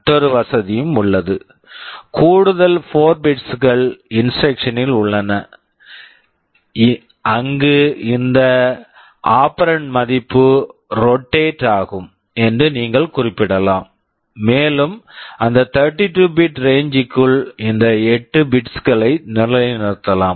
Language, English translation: Tamil, And there is another facility, there are additional 4 bits in the instruction where you can specify that these operand value will be rotated and means within that 32 bit range these 8 bits can be positioned either here or here or here or here